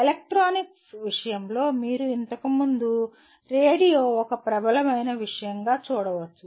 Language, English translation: Telugu, In the case of electronics you can see earlier radio was a dominant thing